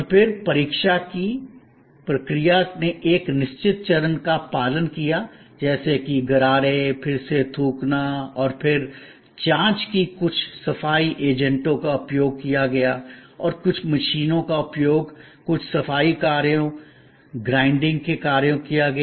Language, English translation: Hindi, And then, the process of examination followed a certain set of steps like gargling or examination and then, again spitting and then, again further examination and some cleaning agents were used and some machines were used to provide certain cleaning functions, grinding functions and so on